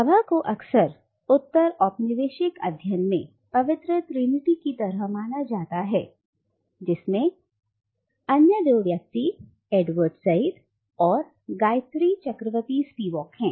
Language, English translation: Hindi, Now Bhabha is often regarded as part of the “Holy Trinity” in the field of postcolonial studies with the other two figure being Edward Said and Gayatri Chakravorty Spivak